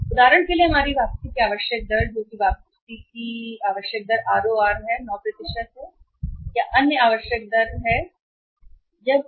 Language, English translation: Hindi, For example our required rate of return that is the required rate of return required rate of return that is ror that is say 9 % other required rate of return it I would say it is 9%